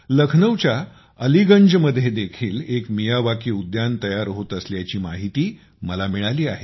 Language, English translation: Marathi, I have come to know that a Miyawaki garden is also being created in Aliganj, Lucknow